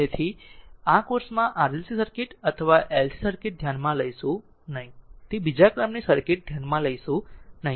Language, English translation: Gujarati, So, in this course we will not consider RLC circuit or LC circuit; that is second order circuit we will not consider